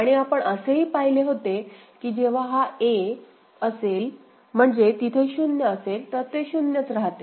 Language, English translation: Marathi, And we had seen that when it is at a, 0 is there, so basically it is remaining at 0